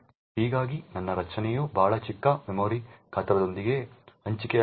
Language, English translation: Kannada, Thus, my array gets allocated with a very small memory size